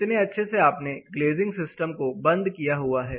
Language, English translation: Hindi, How well you are glazing system is sealed